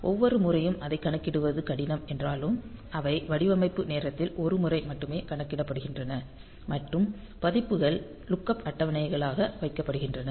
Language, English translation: Tamil, So though it is difficult to compute it every time; so, what is done is that they are computed once only at the design time and the values are kept as lookup table and that that becomes a part of the code